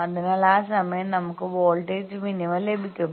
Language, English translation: Malayalam, So, that time we will get voltage minima